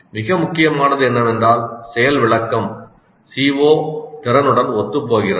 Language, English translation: Tamil, So the most important thing is that a demonstration is consistent with the CO or the competency